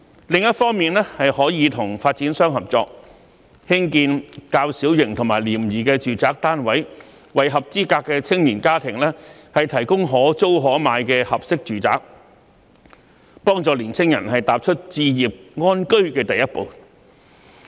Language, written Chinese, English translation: Cantonese, 另一方面，可以與發展商合作，興建較小型及廉宜的住宅單位，為合資格的青年家庭提供可租可買的合適住宅，幫助青年人踏出置業安居的第一步。, On the other hand the authorities can pursue cooperation with developers in building small and inexpensive housing units so as to provide appropriate rent - or - buy flats for eligible young families to help young people take the first step for home ownership